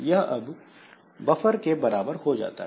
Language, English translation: Hindi, So basically is equal to buffer